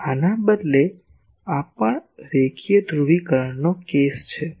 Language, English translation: Gujarati, Now, instead of this, this also is a linear polarisation case